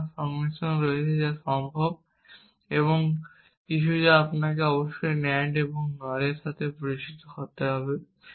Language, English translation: Bengali, There are other combination which are possible and some that you must be familiar with the NAND and NOR